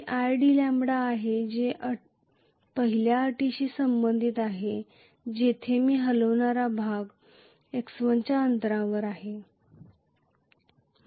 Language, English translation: Marathi, That is what is i d lambda corresponding to the first condition where I have had the moving part a distance of x1